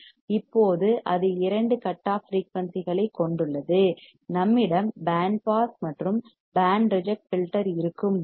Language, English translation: Tamil, Now it has two cutoff frequency, when we have band pass and band reject filter